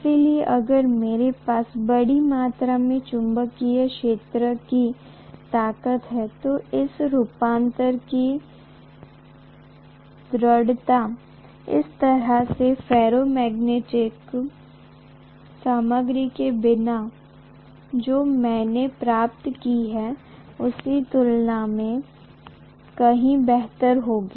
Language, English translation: Hindi, So if I have a large amount of magnetic field strength, the efficiency of this conversion would be far better as compared to what I would have gotten without that kind of a ferromagnetic material